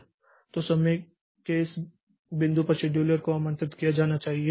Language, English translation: Hindi, So, the scheduler needs to be invoked at this point of time